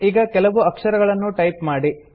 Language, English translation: Kannada, Lets type a few more letters